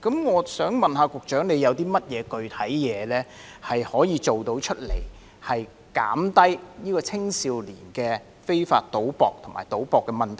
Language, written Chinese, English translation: Cantonese, 我想問局長，有何具體方法可以緩減青少年非法賭博及賭博的問題？, May I ask the Secretary whether he has any specific ways to alleviate the problem of illegal gambling and gambling among young people?